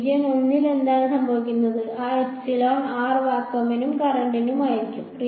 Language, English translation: Malayalam, What happens in region 1, that epsilon r will be for vacuum and current will be there